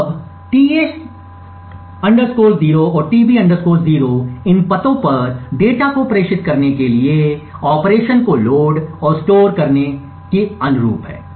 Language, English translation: Hindi, Now tA 0 and tB 0 correspond to load and store operations to these addresses corresponding to the data being transmitted